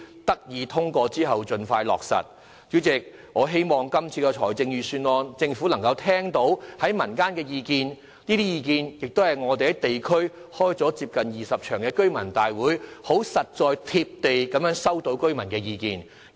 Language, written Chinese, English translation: Cantonese, 我也希望政府能就今次的預算案聆聽民間的意見，因為這些意見是我們在地區舉行接近20場居民大會，以非常實在、貼地的方式收到的居民意見。, I also hope that the Government would listen to the above public views expressed on the Budget this year since these are residents views collected in a very realistic and down - to - earth manner in nearly 20 residents meetings we convened in local districts